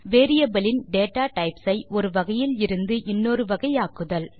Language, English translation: Tamil, Convert the datatypes of variables from one type to other